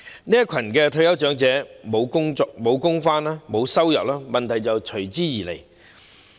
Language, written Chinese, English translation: Cantonese, 這群退休長者沒有工作，沒有收入，問題隨之而來。, Such a group of elderly persons have no job and hence no income so problems will then ensue